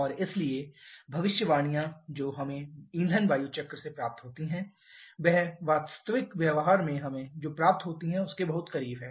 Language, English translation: Hindi, And therefore what predictions that we get from fuel air cycle that is much closer to what we get in real practice